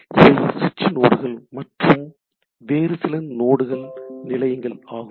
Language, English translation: Tamil, So, switching nodes may connect to other nodes or to some station